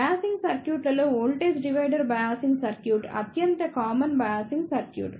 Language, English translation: Telugu, Among the biasing circuits the voltage divider biasing circuit is the most common biasing circuit